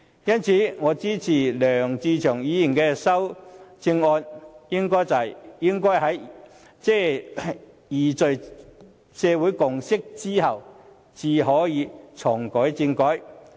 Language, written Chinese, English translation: Cantonese, 因此，我支持梁志祥議員的修正案，即應該在凝聚社會共識後才可重啟政改。, Therefore I support Mr LEUNG Che - cheungs amendment which suggests that only after social consensus has been achieved can constitutional reform be reactivated